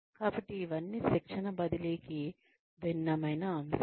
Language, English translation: Telugu, So, all of these are, different aspects of transfer of training